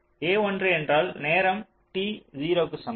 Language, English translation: Tamil, at time, t equal to zero